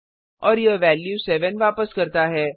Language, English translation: Hindi, And it returns the value 7